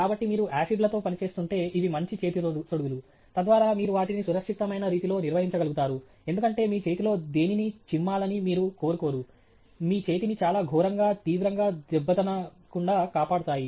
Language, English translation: Telugu, So, if you are working with acids, then these may be better gloves to have, so that you can handle them in a safe manner, because you donÕt want anything spilling on your hand, damaging your hand very badly, severely